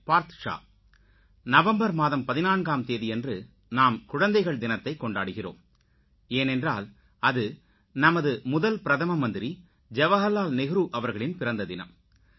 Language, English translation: Tamil, First of all, many felicitations to all the children on the occasion of Children's Day celebrated on the birthday of our first Prime Minister Jawaharlal Nehru ji